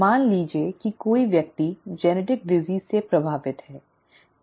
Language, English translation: Hindi, Suppose a person is affected with a genetic disease